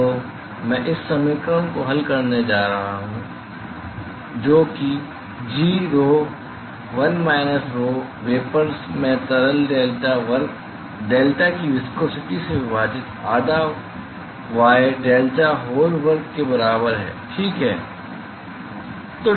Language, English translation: Hindi, So, I can solve this equation uy, that is equal to g into rho l minus rho vapor divided by the viscosity of the liquid delta square delta minus half y by delta the whole square ok